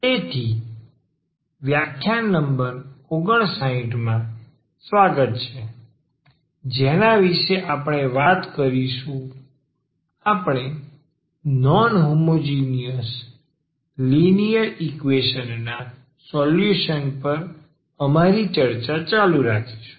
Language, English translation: Gujarati, So, welcome back and this is lecture number 59 we will be talking about we will continue our discussion on solution of non homogeneous linear equations